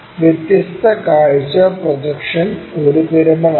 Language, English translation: Malayalam, Different view projection is a pyramid